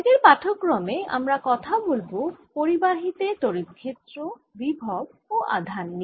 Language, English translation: Bengali, in today's lecture we're going to talk about electric field potential and charges on conductors